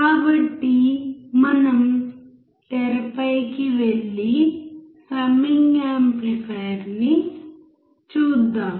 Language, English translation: Telugu, So, let us go on the screen and see the summing amplifier